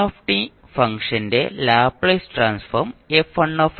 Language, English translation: Malayalam, Now if F s is the Laplace transform of f t